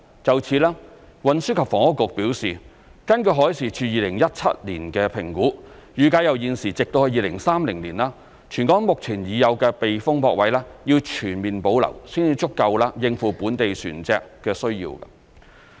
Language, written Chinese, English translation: Cantonese, 就此，運輸及房屋局表示，根據海事處2017年的評估，預計由現時直至2030年，全港目前已有的避風泊位要全面保留，才足夠應付本地船隻的需要。, In this connection the Transport and Housing Bureau THB has indicated that according to the assessment conducted by the Marine Department in 2017 it is estimated that from now till 2030 all existing sheltered spaces in Hong Kong will have to be fully retained in order to sufficiently meet the needs of local vessels